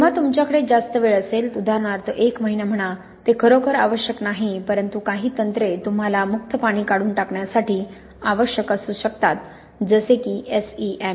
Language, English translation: Marathi, When you have longer times, say for example one month, it is not really necessary but some techniques you may need to remove free water such as SEM